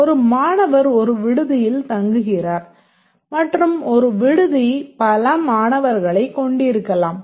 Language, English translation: Tamil, A student lives in one hostel and a hostel can have many students